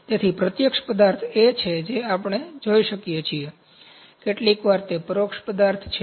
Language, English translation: Gujarati, So, direct material is that we can see, sometimes that is indirect material